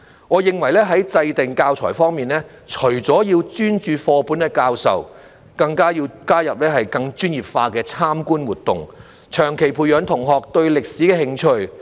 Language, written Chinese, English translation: Cantonese, 我認為在制訂教材方面，除了要專注課本的教授，更要加入更專業化的參觀活動，長期培養學生對歷史的興趣。, I consider that in compiling the teaching materials apart from focusing on the teaching of textbooks more professional visits should be included to cultivate students interest in history in the long term